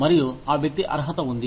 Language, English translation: Telugu, And, the person is qualified